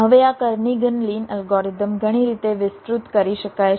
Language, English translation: Gujarati, now this kernighan lin algorithm can be extended in several ways